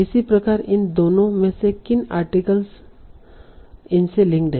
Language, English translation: Hindi, Similarly, what are the articles to which both of these link to